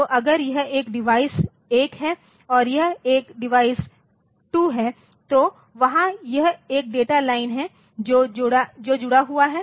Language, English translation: Hindi, So, if this is a device 1 and this is a device 2 then there is this is at this is a data line that is connected